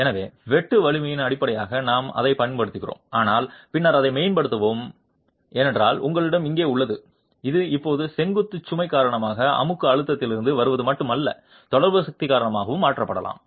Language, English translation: Tamil, So, we use that as the basis of the shear strength but then enhance this because you have sigma not here and this sigma not can now be replaced with not only that coming from compressive stress due to the vertical load but also due to the interaction force